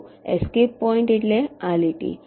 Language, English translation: Gujarati, escape points means: see this line